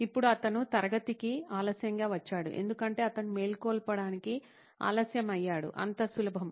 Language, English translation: Telugu, Now he has come late to class because he is late to wake up, as simple as that